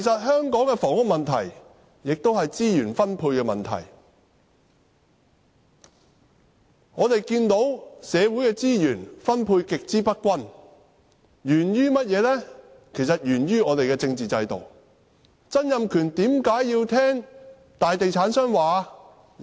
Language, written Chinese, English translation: Cantonese, 香港的房屋問題也是資源分配的問題，社會的資源分配極之不均，實在源於我們的政治制度，曾蔭權為何要聽從大地產商的說話？, The housing problem of Hong Kong is also an issue of resource allocation . The huge inequality in the distribution of social resources in fact stems from our political system